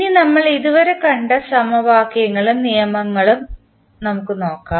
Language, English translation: Malayalam, Now, let us see what are the governing equations and the laws we have discussed till now